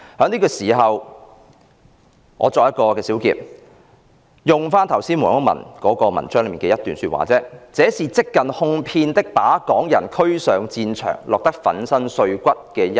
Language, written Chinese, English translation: Cantonese, 現在，我作一小結，再引用剛才所述黃毓民的文章中一段說話："這是即近哄騙的把港人推使上戰場，落得粉身碎骨方休。, Let me briefly summarize now . I will quote from Mr WONG Yuk - mans article which I mentioned earlier . It says It is almost like coaxing Hong Kong people into fighting on the battlefield until they are crushed to death